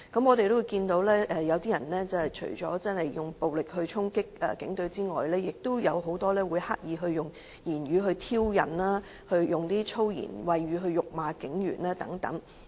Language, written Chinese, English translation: Cantonese, 我們除了看到有些人以暴力衝擊警隊外，亦有很多人刻意以言語挑釁及以粗言穢語辱罵警員等。, We can see that apart from organizing violent protests against the police force many demonstrators deliberately use provocative languages and foul languages to hurl insults at police officers